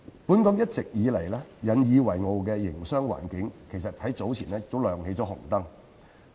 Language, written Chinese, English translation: Cantonese, 本港一直引以為傲的營商環境早前再次亮起警號。, Alarm has again been sounded for our business environment in which Hong Kong has always taken pride in